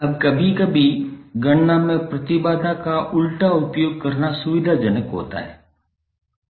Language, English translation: Hindi, Now sometimes it is convenient to use reciprocal of impedances in calculation